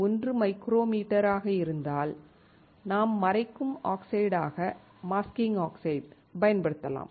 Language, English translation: Tamil, 1 micrometer you can use as a masking oxide